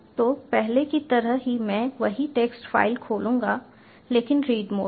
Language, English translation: Hindi, so in the same manner as before, i will open the same text file but in read mode